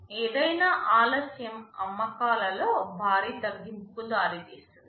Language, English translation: Telugu, Any delay can result in a drastic reduction in sales